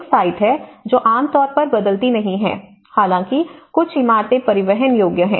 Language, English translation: Hindi, One is a site, which generally does not change, although a few buildings are transportable